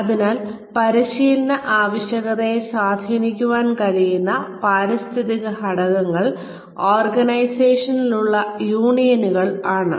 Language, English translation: Malayalam, So, various forces within the environment, that can influence training needs, in an organization are unions